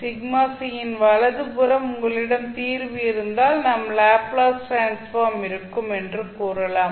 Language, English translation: Tamil, So, right side of sigma c if you have the solution then you will say that your Laplace transform will exist